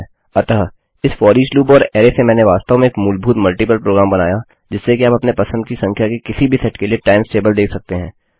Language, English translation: Hindi, So from this FOREACH loop and array Ive created a really basic, multiple program with which you can see the times table for any set of numbers you like So thats the FOREACH loop